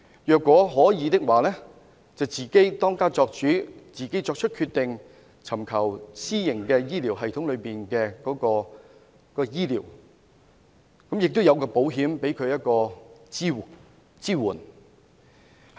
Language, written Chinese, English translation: Cantonese, 如果可以的話，由他自己當家作主，自行作出決定，在私營醫療系統內接受醫療服務，亦有保險為他提供支援。, If this is possible he can make his own decisions receive medical services in the private health care system and be supported by insurance